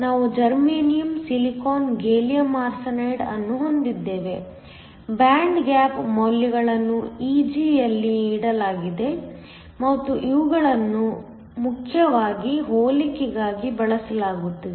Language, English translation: Kannada, We have germanium, silicon, gallium arsenide, the band gap values are given in Eg and these are mainly used just for comparison